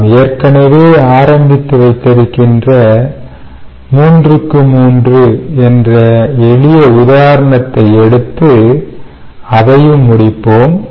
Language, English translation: Tamil, we will go back to the previous example, the, the, the simple three by three example that we started with, and complete that